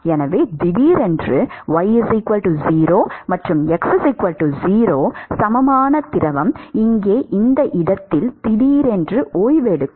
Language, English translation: Tamil, So, suddenly at y equal to 0 and x equal to 0 the fluid will suddenly come to rest at this location here